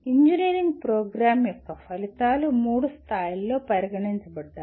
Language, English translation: Telugu, The outcomes of an engineering program are considered at three levels